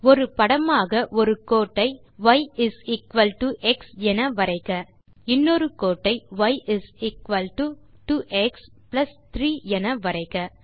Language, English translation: Tamil, Draw a line of the form y is equal to x as one figure and another line of the form y is equal to 2x plus 3